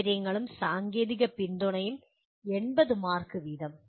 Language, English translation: Malayalam, Facilities and technical support 80 marks each